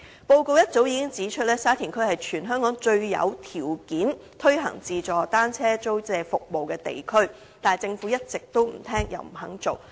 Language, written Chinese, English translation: Cantonese, 報告早已指出，沙田區是全香港最有條件推行自助單車租用服務的地區，但政府一直不聽又不肯做。, The study reports already point out that Sha Tin is the district in the entire Hong Kong with the necessary conditions to implement bicycle rental self - services . But all along the Government has refused to take on board this view or do anything